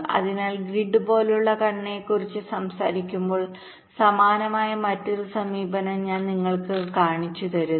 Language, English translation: Malayalam, so, talking about the grid like structure, so i am showing you another kind of a similar approach